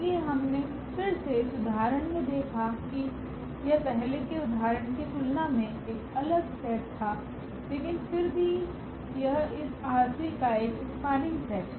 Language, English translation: Hindi, So, again we have seen in this example that this was a different set here from than the earlier example, but again this is also a spanning set of this R 3